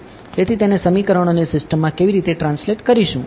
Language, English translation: Gujarati, So, how does that translate into a system of equations